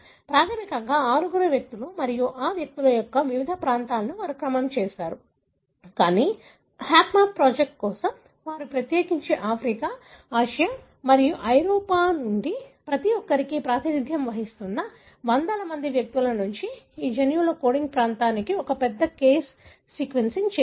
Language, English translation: Telugu, Basically six individuals they took and different regions of these individuals they sequenced, but for HapMap project they have done a large case sequencing for especially the coding region of the genes from hundreds of individual representing each one of the population from Africa, Asia and Europe